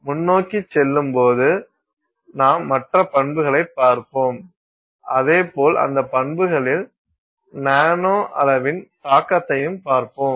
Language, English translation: Tamil, Going forward we will look at other properties and similarly look at, you know, impact of the nanoscale on those properties